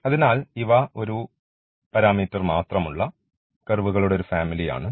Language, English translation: Malayalam, So, we have this two parameter family of curves